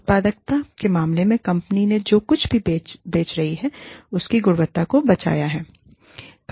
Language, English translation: Hindi, In terms of productivity, how much the company has saved, the quality of the, whatever the company is selling